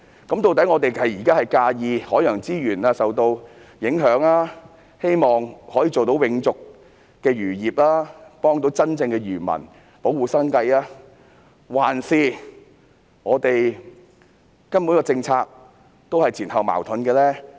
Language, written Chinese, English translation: Cantonese, 究竟我們現在是擔心海洋資源受影響，希望做到永續漁業，幫助真正的漁民，保護他們的生計，還是這項政策根本是前後矛盾呢？, Are we really concerned about the impacts on marine resources hoping to achieve sustainable fisheries and protect fishermens livelihood? . Or is this policy simply inconsistent?